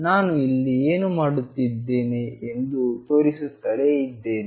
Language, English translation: Kannada, I will keep showing what I am doing here